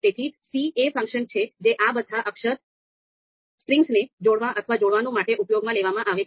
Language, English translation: Gujarati, So c is the function which is going to do concatenate which is going to combine all these you know character strings